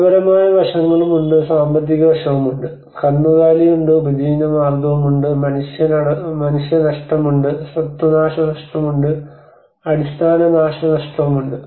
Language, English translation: Malayalam, There is also the qualitative aspects, there is also the financial aspect, there is a livestock, there is livelihood, there is human loss, there is a property damage, there is a infrastructural damage